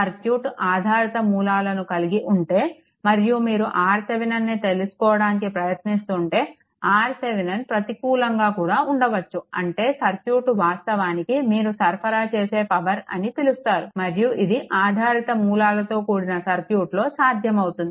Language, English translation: Telugu, If the circuit has dependent sources and you trying to find out R Thevenin, so R Thevenin may become negative also in; that means, the circuit actually is your what you call that supplying power and this is possible in a circuit with dependent sources